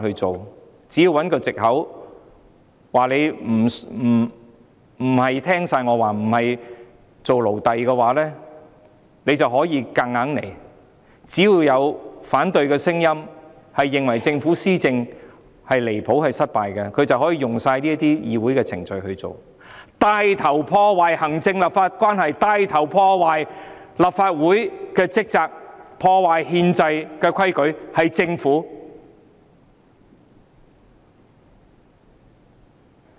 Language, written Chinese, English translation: Cantonese, 政府只要找一個藉口，說我們不是全面聽他們的話、不願做他們的奴隸，政府便可以硬來；只要出現反對聲音認為政府離譜和失敗，政府便可以引用這些議會程序，帶頭破壞行政立法關係、帶頭破壞立法會職責，破壞憲制規矩的是政府。, The Government will need only find an excuse and allege that we are not listening to them completely and refusing to be its slaves and then the Government can bulldoze its way through . So long as there are dissident voices accusing the Government of acting outrageously and failing to do its job the Government can invoke these procedures in the legislature take the lead in sabotaging the relationship between the executive and the legislature and take the lead in undermining the functions of the Legislative Council . It is the Government who sabotages the constitutional rules